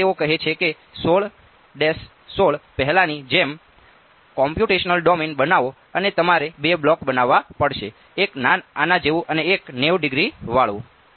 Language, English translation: Gujarati, Now same thing they say make the computational domain as before 16, 16 and you have to make two blocks; one like this and the one the 90 degree bend